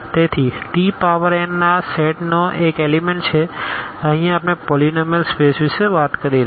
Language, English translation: Gujarati, So, t power n this is one element of this set here the polynomial space which you are talking about